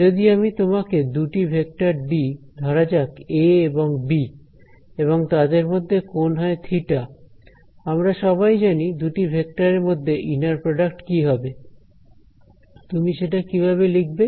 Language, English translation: Bengali, So, if I give you two vectors over here say a and b with some angle theta between them ,we all know the inner product of these two vectors is; what would you write it as